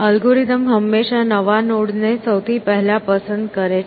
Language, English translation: Gujarati, The algorithm always picks the newest node first